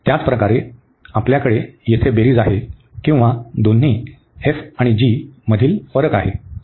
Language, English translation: Marathi, Similarly, we have the addition here or the difference of the two functions f and g